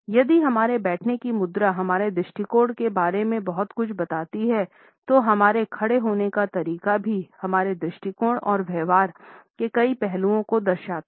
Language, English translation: Hindi, If our sitting posture reveals a lot about our attitudes, the way we stand also indicates several aspects of our attitudes and behaviour